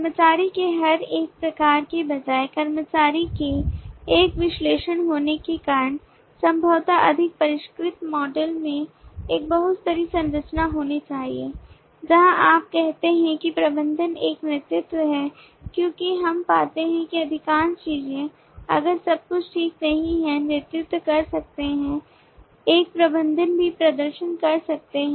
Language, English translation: Hindi, instead of just each one of the employee types being a specialization of the employee possibly a more refined model should have a multi layered structure where you say that the manager is a lead because we find that most of the things if not everything exactly that a lead can do a manager can also perform